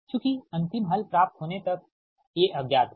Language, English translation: Hindi, and this are known until the final solution is obtained